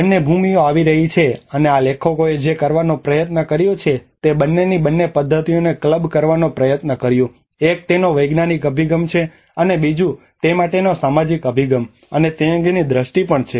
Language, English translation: Gujarati, The two lands coming and what this authors have tried to do they tried to club both the methods of both, one is the scientific approach of it, and second is the social approach to it, and the perception of it